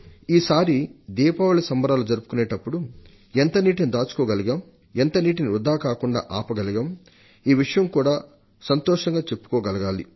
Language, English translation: Telugu, And when we celebrate Diwali this time, then we should also revel in how much water did we save; how much water we stopped from flowing out